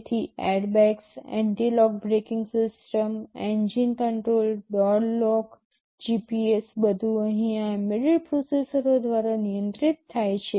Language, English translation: Gujarati, So, airbags, anti lock braking systems, engine control, door lock, GPS, everything here these are controlled by embedded processors